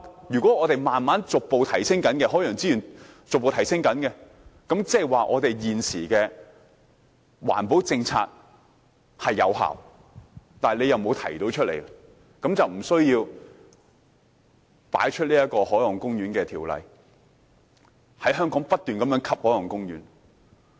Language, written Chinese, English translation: Cantonese, 如果我們的海洋資源逐步提升，即是現時的環保政策有效，只是政府沒有提及，這樣便不需要高舉《海岸公園條例》，在香港不斷規劃海岸公園。, If our marine resources have really been increasing gradually meaning that the existing environmental policies are effective despite the Governments reticence it will not be necessary to invoke the Marine Parks Ordinance all the time and keep designating marine parks in Hong Kong